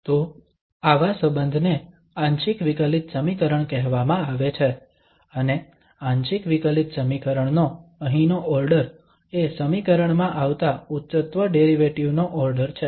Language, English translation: Gujarati, So such a relation is called partial differential equation and the order here of partial differential equation is the order of the highest derivative occurring in the equation